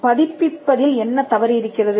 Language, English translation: Tamil, So, what is bad about publication